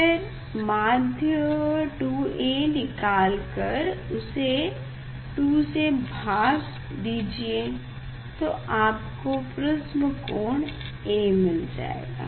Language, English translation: Hindi, find out the mean 2 A and half of it will be the angle of prism this is done